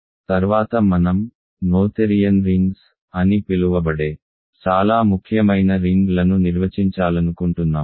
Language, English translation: Telugu, Next I want to define a very important class of rings called “noetherian rings”